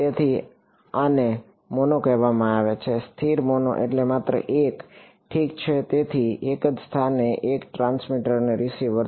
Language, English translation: Gujarati, So, this is called a mono static mono means just one right; so, one transmitter and receiver at the same location